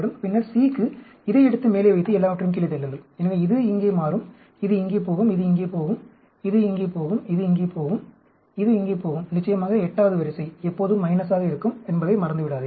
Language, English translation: Tamil, And then, for C, take this and put it on top, and push everything one down; so this will become here, this will go here, this will go here, this will go here, this will go here, this will go here; of course, do not forget that 8th row, will always be all minus